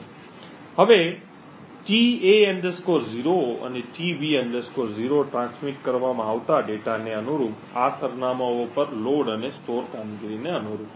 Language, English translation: Gujarati, Now tA 0 and tB 0 correspond to load and store operations to these addresses corresponding to the data being transmitted